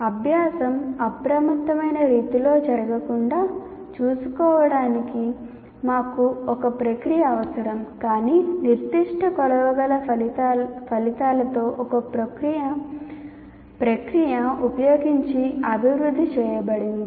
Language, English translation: Telugu, So we need a process to ensure learning does not occur in a haphazard manner, but is developed using a process with specific measurable outcomes